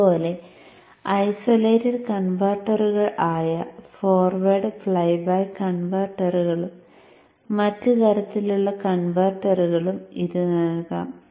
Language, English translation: Malayalam, And likewise you could also give it to the isolated converters like the forward flyback converters and other types of converters